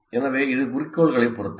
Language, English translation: Tamil, So it depends on the objective